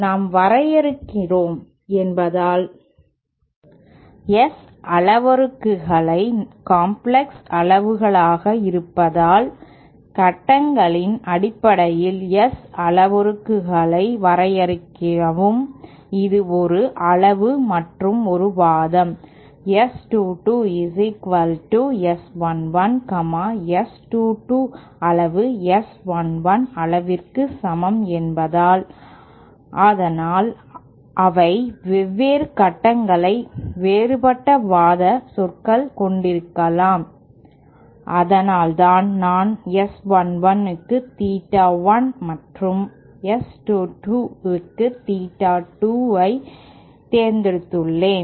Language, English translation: Tamil, Now suppose we define the since the S parameters themselves are complex quantities, if we define the S parameters in terms of phases that is a magnitude and an argument S 2 2 is equal to S 1 1, since S 2 2 magnitude is same as S 1 1 magnitude, but then they may have different phase different argument terms so that is why I have chosen theta 1 for S 1 1 and theta 2 for S 2 2